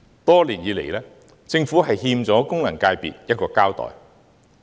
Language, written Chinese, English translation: Cantonese, 多年來，政府欠功能界別一個交代。, For many years the Government has owed FCs an explanation